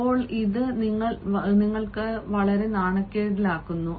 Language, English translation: Malayalam, now this actually puts you in a very embarrassing situation